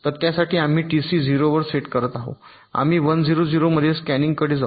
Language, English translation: Marathi, so for this we are setting t c to zero, we are shifting to scanin one zero, zero